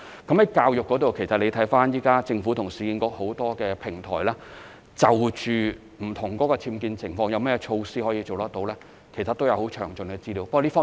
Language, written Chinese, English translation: Cantonese, 在教育方面，政府現時與市建局在很多平台上就不同僭建情況可以做到甚麼措施，其實也有很詳盡的資料。, As for education the Government actually has very detailed information on the measures that can be rolled out on many platforms with URA in regard to different UBWs